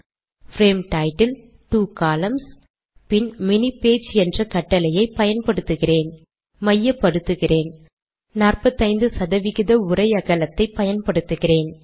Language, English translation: Tamil, Frame title, two columns, and Im using the command mini page, and Im centering it and Im using 45 percent of the text width